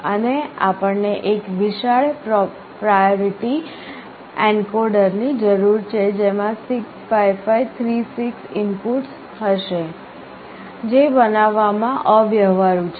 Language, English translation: Gujarati, And we need one huge priority encoder that will be having 65536 inputs, which is impractical to build